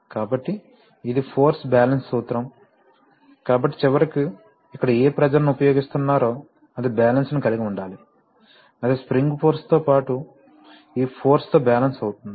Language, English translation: Telugu, So you see, it is a force balance principle, so finally whatever pressure is being applied here that must be balanced, that will be balanced by this, that will be balanced by the spring force as well as this force